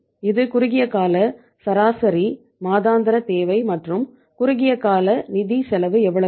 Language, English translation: Tamil, This is the short term average monthly requirement and the short term funds cost is going to be how much